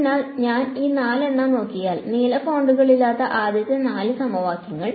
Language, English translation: Malayalam, So, if I look at these four the first four equations without the blue fonts